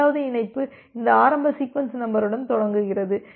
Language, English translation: Tamil, The second connection is starts from here with the initial sequence number